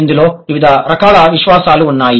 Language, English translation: Telugu, And there are different types of universals